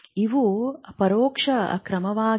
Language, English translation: Kannada, It is an indirect measure